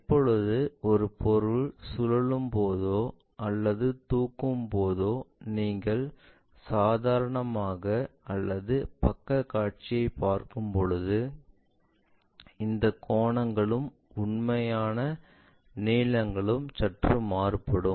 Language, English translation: Tamil, When an object is rotated, lifted and so on so things, when you are looking either normal to it or side view kind of thing these angles and also the true lengths are slightly distorted